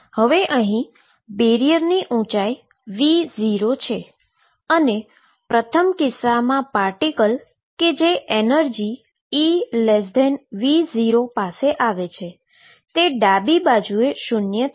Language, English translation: Gujarati, So, here is the barrier of height V 0 and first case I consider is a part of the coming in at energy e less than V 0 the left hand side is V equal 0